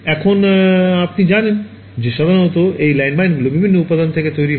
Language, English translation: Bengali, Now you know typically these landmines are made out of different material right